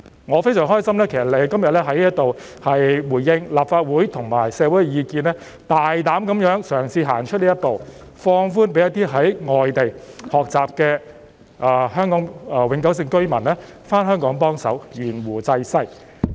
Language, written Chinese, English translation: Cantonese, 我非常高興聽到你今天在這裏回應立法會和社會的意見，大膽嘗試行出這一步，放寬讓在外地學習的香港永久性居民回港幫忙、懸壺濟世。, I am very happy to hear that you have responded to the views of the Legislative Council and the community here today by boldly attempting to take this step to relax the restrictions to allow Hong Kong permanent residents studying abroad to return to and practise medicine in Hong Kong in order to help the people